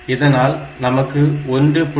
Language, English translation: Tamil, So, you get 1